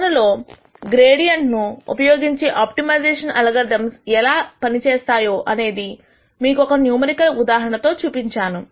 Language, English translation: Telugu, And then we showed you a numerical example of how actually this gradient based optimization algorithm works in practice